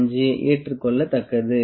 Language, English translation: Tamil, 25 is acceptable